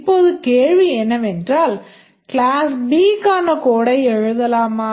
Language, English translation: Tamil, Now the question is that can we write the code for class B, so that is for do a method